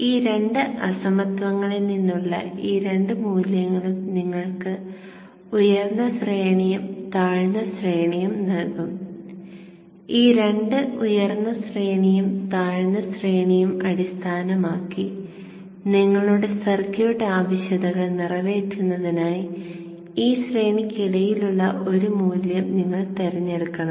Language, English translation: Malayalam, So these two values from these two inequalities will give you a higher range and lower range and based on these two higher range and lower range you should pick a value in between this range to satisfy your circuit requirements